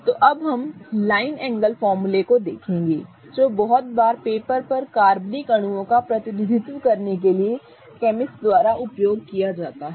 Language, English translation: Hindi, So, now we will look at line angle formula which is very often used by chemists to represent organic molecules on paper